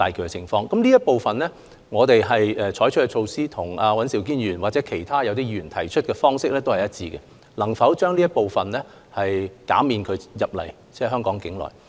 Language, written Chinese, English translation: Cantonese, 在這方面，我們採取的措施與尹兆堅議員或其他議員提出的措施是一致的，着眼於能否減少這類入境旅客的數目。, In this regard our measures are consistent with those proposed by Mr Andrew WAN and other Members in the sense that the focus is on the possibility to reduce the number of such inbound visitors